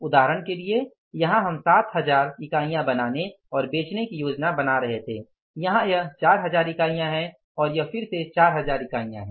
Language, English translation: Hindi, So, for example here we were planning to manufacture and sell 7,000 units here it is 4,000 units and then it is again 4,000 units